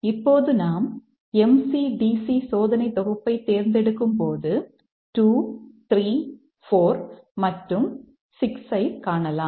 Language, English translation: Tamil, Now when we choose the MCDC test suit, we can find that 2, 3, 4 and 6